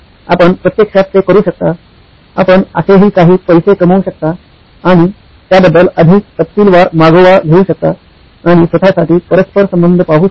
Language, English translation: Marathi, You can actually do that, you can even put a revenue something like that and actually track it much more in detail and see the correlation for yourself